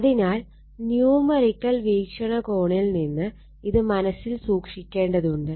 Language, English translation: Malayalam, So, this from the numerical point of view this you have to keep it in mind